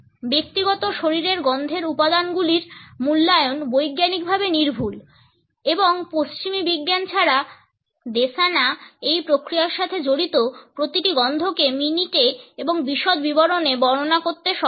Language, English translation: Bengali, The assessment of the components of personal body odor is scientifically accurate and unlike western scientists, the Desana are also able to describe each of these smells which are involved in this process in minute and vivid detail